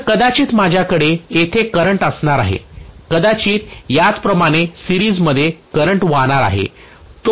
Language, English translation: Marathi, So may be, I am going to have the current flowing like this here, which maybe I, similarly the current will be flowing like this in series the same current flows here